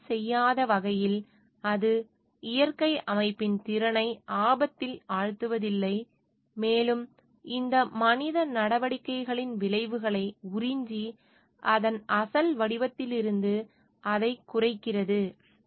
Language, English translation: Tamil, In such a way that it is not compromising on, it is not endangering the capacity of the natural system, and to absorb the effects of this human activities and which makes it depletes from its original form